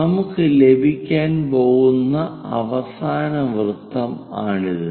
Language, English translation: Malayalam, This is the last circle what we are going to have